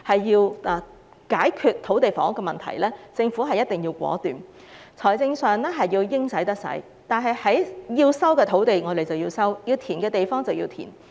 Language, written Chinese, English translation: Cantonese, 要解決土地房屋問題，政府必須果斷，在財政上應使得使，把該收的土地收回，把該填的土地填平。, In order to solve the land and housing problem the Government must be resolute in mobilizing its financial resources by resuming and reclaiming land wherever necessary and appropriate